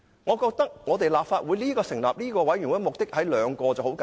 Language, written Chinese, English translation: Cantonese, 我覺得立法會成立專責委員會的目的只有兩個，很簡單。, I think the select committee established by the Legislative Council will only seek to achieve two objectives